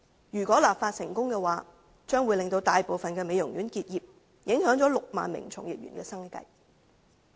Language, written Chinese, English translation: Cantonese, 如果立法成功，將會令大部分美容院結業，影響6萬名從業員的生計。, If such a law is introduced it will cause most of the beauty parlours to close down thereby affecting the livelihood of 60 000 practitioners in the industry